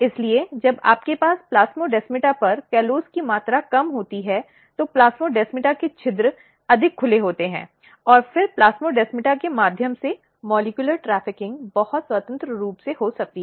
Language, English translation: Hindi, So, when you have less amount of callose at the plasmodesmata, the pores of plasmodesmata are more open and then molecular trafficking through plasmodesmata can occur very freely